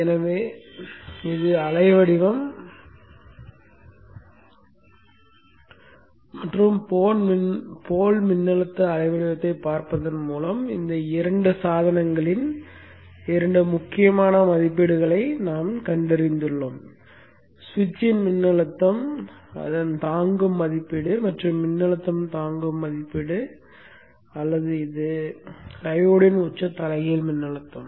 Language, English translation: Tamil, So you see that just by looking at the waveform and the poor voltage waveform we have found two important ratings of these two devices the voltage withstanding rating of the switch and the voltage withstanding rating of the switch and the voltage withstanding rating of the peak inverse voltage of the time